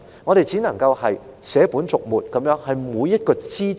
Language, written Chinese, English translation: Cantonese, 我們只能捨本逐末地討論每一個枝節。, We can only discuss every minor detail rather than the essential parts